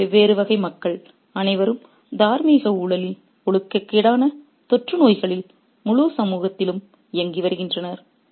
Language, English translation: Tamil, All these different categories of people are implicated in the moral corruption in the moral epidemic that in the immoral epidemic that's running through the entire society